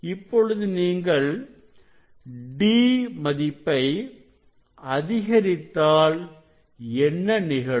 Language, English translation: Tamil, when D will increase then what you will see